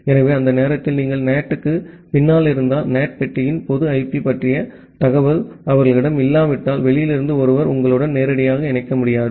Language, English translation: Tamil, So, that is why if you are behind the NAT during that time, someone from outside will not be able to directly connect to you unless they have the information of the public IP of the NAT box